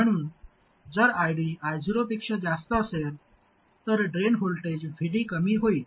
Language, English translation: Marathi, So, if ID is more than I 0, then the drain voltage VD reduces